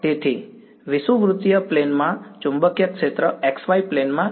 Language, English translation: Gujarati, So, in the equatorial plane, the magnetic field is in the x y plane